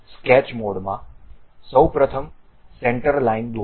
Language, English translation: Gujarati, In the sketch mode, first of all draw a centre line